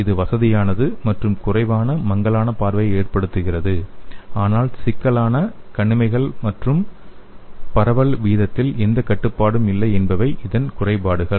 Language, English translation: Tamil, And it is comfortable but again its less blurred vision but the drawbacks are matted eyelids and no rate control on diffusion